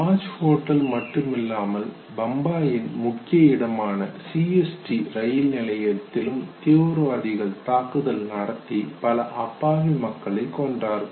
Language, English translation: Tamil, Besides hotel Taj CST station in Bombay also was one of the sides where the terrorists had attacked and killed lot many innocent people